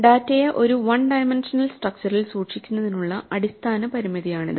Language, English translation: Malayalam, This is the fundamental limitation of keeping the data in a one dimensional structure